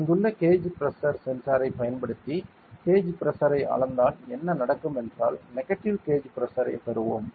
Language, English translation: Tamil, And if we measured the gauge Pressure using a gauge pressure sensor over here then what will happen is we will get a negative gauge Pressure right we will get a negative gauge pressure